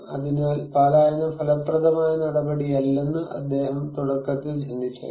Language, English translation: Malayalam, So, he may think initially that evacuation is not an effective measure